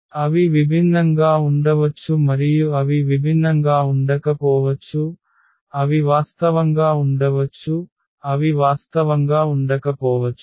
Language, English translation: Telugu, They may be distinct and they may not be distinct, they may be real, they may not be real so whatever